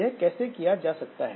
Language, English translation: Hindi, So, how this can be done